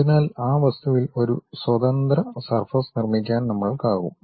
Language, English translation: Malayalam, So, that we will be in a position to construct, a free surface on that object